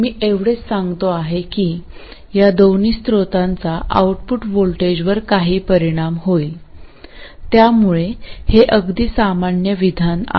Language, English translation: Marathi, All I am saying is that both of these sources will have some effect on the output voltage